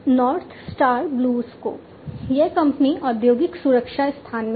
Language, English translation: Hindi, North Star BlueScope, this company is into the industrial safety space